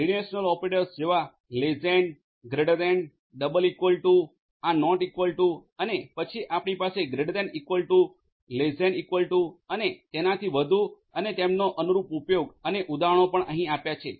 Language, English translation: Gujarati, Relational operators like less than, greater than, double equal to, this is not equal to and then you have greater than equal to, less than equal to and so on and their corresponding use and examples are also given over here